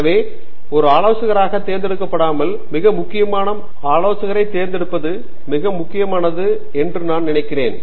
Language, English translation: Tamil, So, I think choosing an advisor is very important